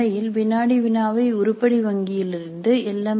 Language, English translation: Tamil, In fact the quiz itself can be composed from the item bank by an LMS